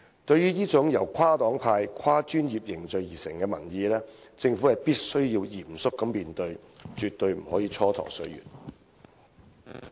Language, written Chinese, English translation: Cantonese, 對於這種由跨黨派、跨專業凝聚而成的民意，政府必須嚴肅面對，絕對不可以蹉跎歲月。, The Government must take such public opinions formed across parties and professions seriously and waste no more time